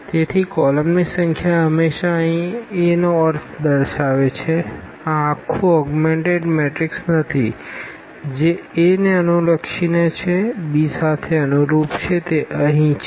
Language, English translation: Gujarati, So, number of columns always represent the I mean of A here yeah not the whole augmented matrix this is corresponding to a this is corresponding to b, that is what we have here